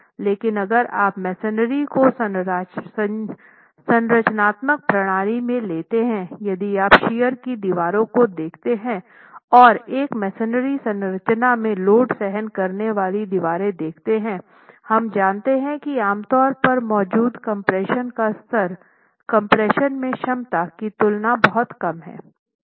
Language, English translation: Hindi, But if you take masonry, if you take masonry as a structural system, if you look at shear walls and load bearing walls in a masonry structure, we know that the level of compression that exists is typically very low in comparison to the capacity in compression